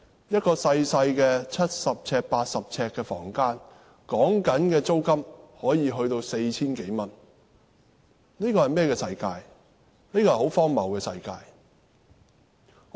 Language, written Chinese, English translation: Cantonese, 一個細小的七八十平方呎的房間，租金可以高達 4,000 多元，這是一個很荒謬的世界。, The rental for a tiny room of some 70 sq ft or 80 sq ft can be as much as 4,000 . This is really ridiculous